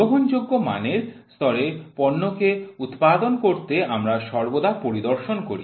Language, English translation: Bengali, To produce the part having acceptable quality levels we always do inspection